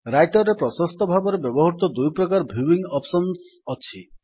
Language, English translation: Odia, There are basically two widely used viewing options in Writer